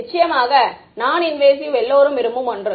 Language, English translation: Tamil, Of course, non invasive is something that everyone wants right